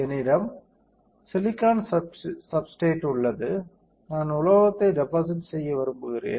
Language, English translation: Tamil, I have silicon substrate, I want to deposit metal